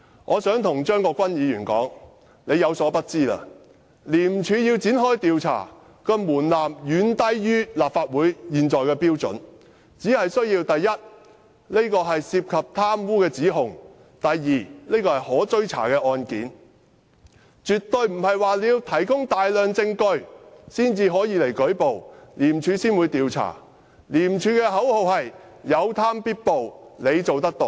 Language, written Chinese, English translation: Cantonese, 我想告訴張議員，他有所不知，要廉署展開調查的門檻遠低於立法會現有的標準，只要是涉及貪污的指控或是可追查的案件，不用提供大量證據便可以舉報，廉署便會展開調查，廉署的口號是："有貪必報，你做得到"。, Let me tell Mr CHEUNG as he may not be aware the threshold for ICAC to launch an investigation is much lower than that of the existing threshold of the Legislative Council; so long as the allegations involve corruption or the cases are pursuable reports can be made without the need to provide substantial evidence and ICAC will launch investigations . ICACs slogan Be Smart Report Corruption encourages people to report corruption